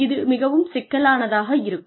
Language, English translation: Tamil, It sounds very complicated